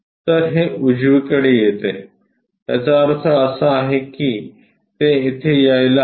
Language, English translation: Marathi, So, it comes on the right side, that means, is supposed to come here